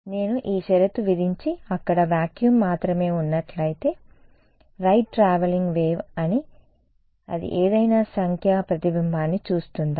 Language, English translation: Telugu, If I impose this condition and there is actually only vacuum over there, then right traveling wave will it see any numerical reflection